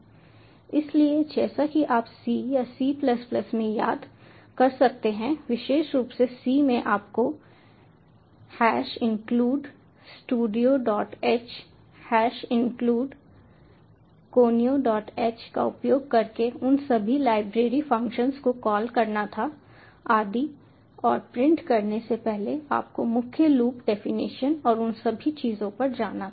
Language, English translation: Hindi, so, as you can recall, in c or c plus plus, specially in c, you had to call all those library functions using hash include stdio dot h, hash include konya dot h, and so on, and prior to printing you had to go to the main loop definition and all those things